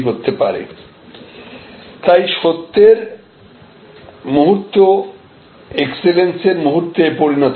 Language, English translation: Bengali, So, the moments of truth becomes, they become moments of excellence